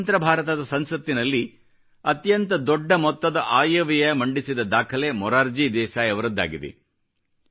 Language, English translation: Kannada, In Independent India, the record of presenting the budget the maximum number of times is held by Morarjibhai Desai